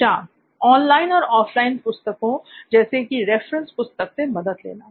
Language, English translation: Hindi, Referring online as well as offline books like book a reference book